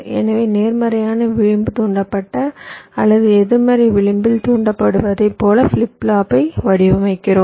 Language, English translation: Tamil, so we design the flip flop like a positive edge triggered or a negative edge triggered